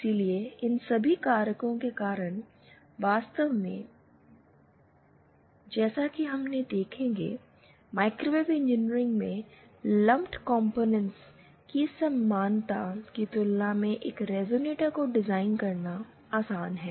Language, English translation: Hindi, So, because of all these factors, it is actually as we shall see, it is actually easier to design a resonator as compared to equivalence of lumped components in microwave engineering